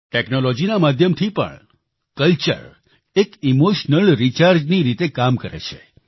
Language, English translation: Gujarati, Even with the help of technology, culture works like an emotional recharge